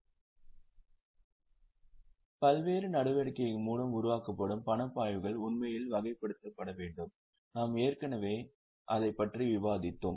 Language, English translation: Tamil, Now, the cash flows which are generated through various activities are actually required to be classified